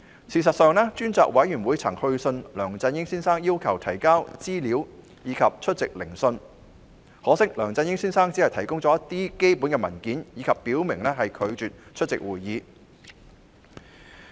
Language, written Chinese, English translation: Cantonese, 事實上，專責委員會曾去信梁振英先生要求提交資料及出席聆訊，可惜梁振英先生只提供了一些基本文件，並表明拒絕出席會議。, In fact the Select Committee has sent Mr LEUNG Chun - ying a letter to request for information and invite him to attend hearings . Regrettably Mr LEUNG Chun - ying has only provided a few basic documents and expressly refused to attend any hearings